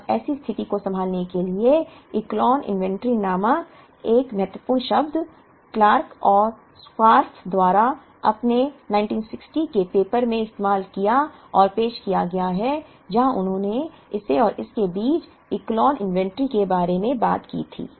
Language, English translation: Hindi, Now to handle such a situation an important term called Echelon inventory; was used and introduced by Clark and Scarf in their 1960 paper where, they spoke about Echelon inventory between this and this